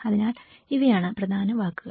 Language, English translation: Malayalam, So these are the key words